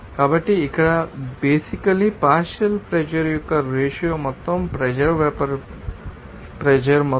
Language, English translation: Telugu, So, here basically the ratio of you know partial pressure to the total pressure to the vapour pressure to you know total pressure